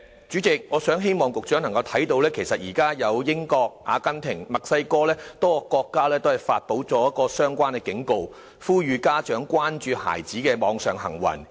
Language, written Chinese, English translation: Cantonese, 主席，我希望局長看到，現在英國、阿根廷及墨西哥多個國家都發出相關警告，呼籲家長關注孩子的網上行為。, President I wish the Secretary can realize that a number of countries including the United Kingdom Argentina and Mexico have issued relevant warnings urging parents to pay attention to the cyber behaviours of their children